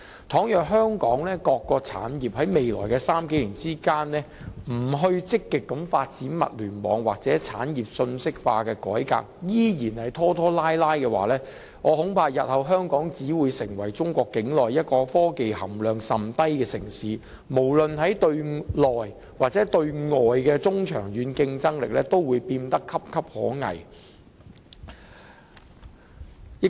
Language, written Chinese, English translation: Cantonese, 倘若香港各個產業在未來數年不積極發展物聯網或產業信息化的改革，依然拖拖拉拉，我恐怕日後香港只會成為中國境內一個科技含量甚低的城市，無論是對內或對外的中長期競爭力都會變得岌岌可危。, If the industries in Hong Kong do not proactively develop the Internet of Things or carry out reforms to achieve industrial informatization in the next few years but continue to drag their heels I am afraid Hong Kong would in future only become a city with very low elements of technology in China in which case our competitiveness in the medium - to - long term both domestically and externally would be at stake